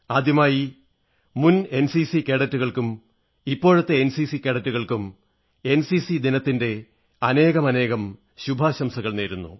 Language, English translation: Malayalam, At the outset on the occasion of NCC, Day, I extend my best wishes to all NCC Cadets, both former & present